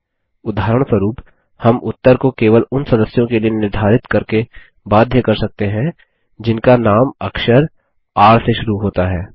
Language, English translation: Hindi, For example, we can limit the result set to only those members, whose name starts with the alphabet R